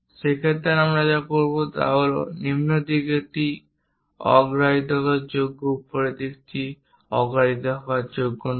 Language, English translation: Bengali, In that case what we will do is lower side is preferable upper side is not preferable